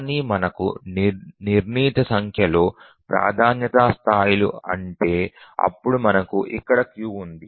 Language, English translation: Telugu, So, if we have a fixed number of priority levels, then we can have a queue here